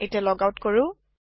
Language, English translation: Assamese, Let us logout now